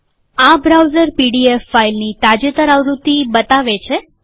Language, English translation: Gujarati, This browser shows the latest version of the pdf file